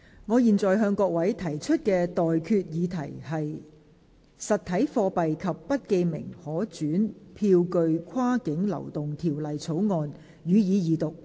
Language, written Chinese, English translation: Cantonese, 我現在向各位提出的待決議題是：《實體貨幣及不記名可轉讓票據跨境流動條例草案》，予以二讀。, I now put the question to you and that is That the Cross - boundary Movement of Physical Currency and Bearer Negotiable Instruments Bill be read the Second time